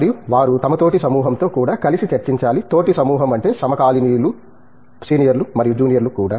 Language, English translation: Telugu, And, they should also connect with their peer group, by peer group I mean contemporaries, also the seniors and juniors